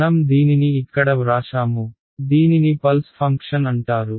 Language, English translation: Telugu, I have written it over here it is what is called a pulse function